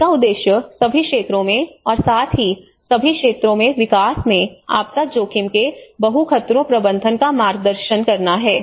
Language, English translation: Hindi, It aims to guide the multi hazard management of disaster risk in development at all levels as well as within and across all sectors